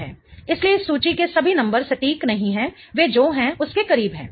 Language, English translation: Hindi, So, all the numbers in this chart are not exact